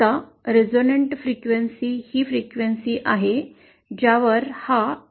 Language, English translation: Marathi, Now the resonant frequency is the frequency at which this LI is equal to 1